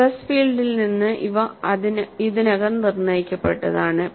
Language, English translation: Malayalam, These are already determined from the stress field